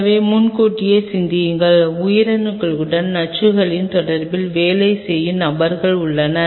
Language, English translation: Tamil, So, think in advance all there are people who work on kind of an interaction of toxins with the cells